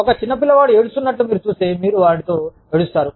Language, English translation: Telugu, If you see a little child crying, you will cry with them